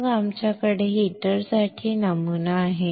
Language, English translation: Marathi, Then you have the pattern for heater